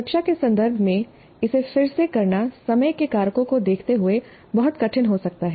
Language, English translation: Hindi, Again, doing this in a classroom context may be very difficult given the time factors